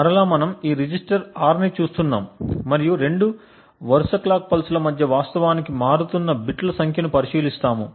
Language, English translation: Telugu, So again we are looking at this register R and between two consecutive clock pulses we look at the number of bits that actually change